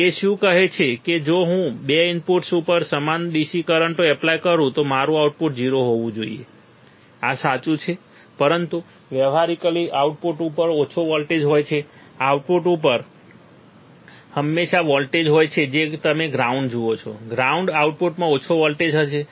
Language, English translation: Gujarati, What does it say that if I apply equal DC currents to the 2 inputs my output should be 0 right this is correct, but practically there is some voltage at the output, there is always some voltage at the output you see ground; ground an output will have some voltage